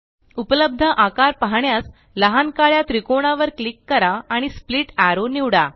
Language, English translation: Marathi, Click on the small black triangle to see the available shapes and select Split Arrow